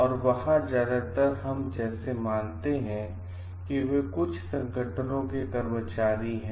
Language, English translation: Hindi, And there mostly we consider like, they are employees of certain organizations